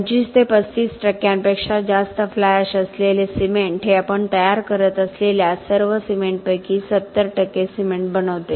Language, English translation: Marathi, Cement having above 25 to 35 percent of fly ash makes up of about 70 percent of all the cement that we produce